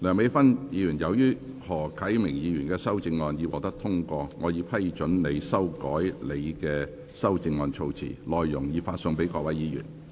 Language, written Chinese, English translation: Cantonese, 梁美芬議員，由於何啟明議員的修正案獲得通過，我已批准你修改你的修正案措辭，內容已發送各位議員。, When moving your revised amendment you may speak for up to three minutes to explain the revised terms in your amendment but you may not express further views on the motion and the amendments nor may you repeat what you have already covered in your earlier speech